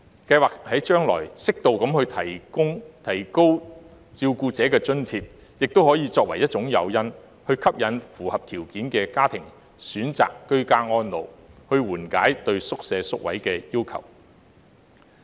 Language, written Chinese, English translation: Cantonese, 計劃將來，適度提高照顧者津貼，亦可作為一種誘因，吸引符合條件的家庭選擇居家安老，緩解對院舍宿位的需求。, Planning ahead the Government should consider suitably increasing the carers allowance amounts as an incentive to encourage eligible families to support ageing at home thereby alleviating the demand for RCHs and places